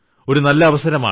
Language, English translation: Malayalam, It is a very big opportunity